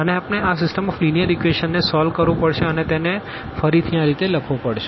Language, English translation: Gujarati, And we have to solve this system of linear equations which we can write down like again we can simplify this little bit